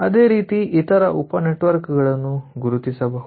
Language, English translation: Kannada, similarly we can identify the other sub networks